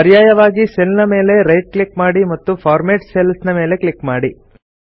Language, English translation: Kannada, Alternately, right click on the cell and click on Format Cells